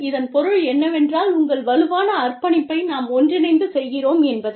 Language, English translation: Tamil, And, this means, that your stronger commitment, we are doing it together